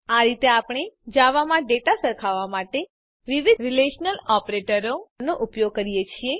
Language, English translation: Gujarati, This is how we use the various relational operators to compare data in Java